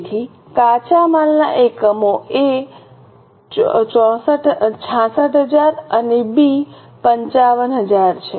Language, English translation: Gujarati, So, A, units of raw material are 66,000 and B are 55,000